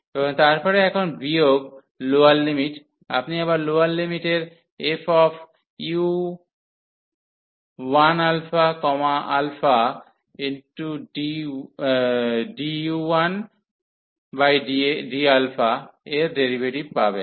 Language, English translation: Bengali, And then minus now for the lower limit you will have again the derivative of the lower limit d u 1 over d alpha